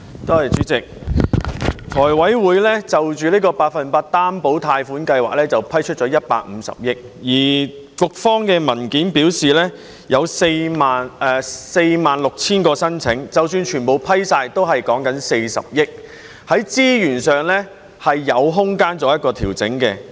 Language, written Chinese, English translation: Cantonese, 主席，財務委員會就百分百擔保個人特惠貸款計劃批出150億元，而局方的文件表示，有46000宗申請，即使全部批出，也只不過是40億元，在資源上是有空間可以作出調整的。, President the Finance Committee has approved a funding of 15 billion for PLGS and according to the paper provided by the Bureau there are 46 000 applications . Even if all applications are approved it will incur only 4 billion and there is still room for adjustment in terms of utilization of resources